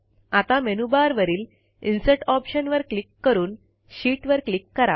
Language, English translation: Marathi, Now click on the Insert option in the menu bar then click on Sheet